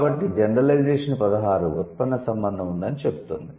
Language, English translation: Telugu, So, what Gen 16 says, there is a derivational relationship